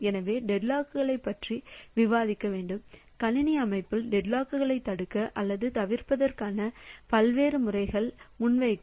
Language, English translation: Tamil, So, we have to, we will discuss about the deadlocks to present a number of different methods for preventing or avoiding deadlocks in a computer system